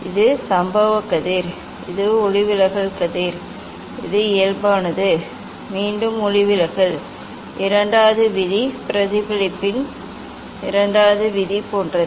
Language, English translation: Tamil, it is incident ray, and this is the refracted ray, this is the normal, again second law of refraction is same as the second law of reflection